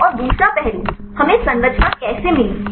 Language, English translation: Hindi, And the second aspect; how did we get the structure